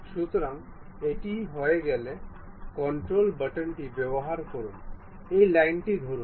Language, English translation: Bengali, So, once it is done, use control button, hold that line